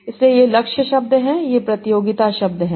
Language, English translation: Hindi, So these are the target words, these are the context words